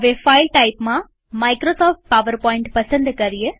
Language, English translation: Gujarati, In the file type, choose Microsoft PowerPoint